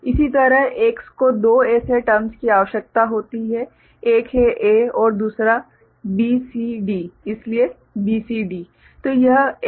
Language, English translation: Hindi, Similarly X requires two such terms one is A another is B, C, D, so B, C, D